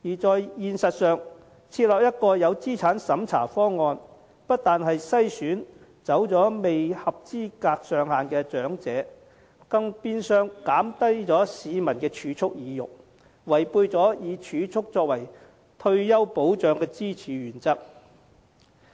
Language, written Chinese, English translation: Cantonese, 事實上，如設立一個有資產審查的方案，不但會篩走未符合資產限額的長者，更變相減低市民的儲蓄意欲，違背了以儲蓄作為退休保障支柱的原則。, In fact introducing a means - tested option will not only screen out those elderly who do not meet the prescribed limit of assets but also in effect reduce the incentive for people to keep savings running counter to the principle of relying on savings as one of the pillars for retirement protection